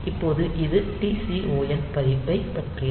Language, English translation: Tamil, So, this is about the TCON register